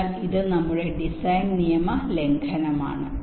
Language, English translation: Malayalam, so this is our design rule violation